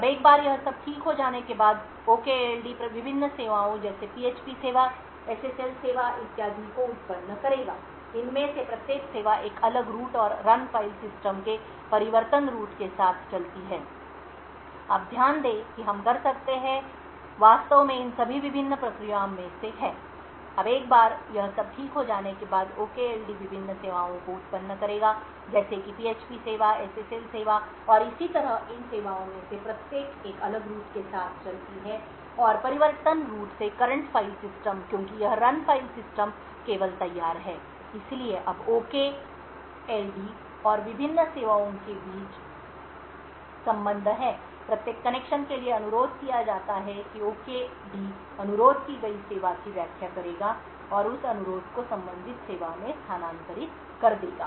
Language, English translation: Hindi, Now once all of this is setup the OKLD would then generate the various services like the php service, the SSL service and so on, each of these services runs with a different root and the change root of run file system, now note that we can actually have all of these various processes running from the change root file system because this run file system is ready only, so now there are connections between the OKD and the various services, for every connection that is requested the OKD would interpret the service that is requested and transfer that request to the corresponding service